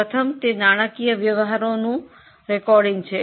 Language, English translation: Gujarati, First is recording of financial transactions